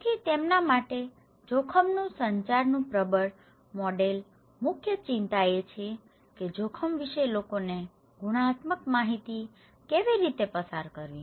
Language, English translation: Gujarati, So, for them the dominant model of risk communications for them, the major concern is how to pass qualitative informations to the people about risk